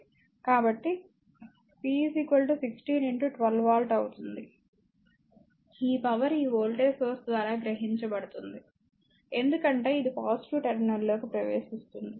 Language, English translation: Telugu, So, p will be is equal to your 16 into 12 watt this power it is being absorbed by this voltage source because it is entering into the positive terminal right